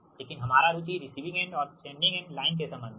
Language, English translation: Hindi, right, but our interest is the relation between the sending end and receiving end of the line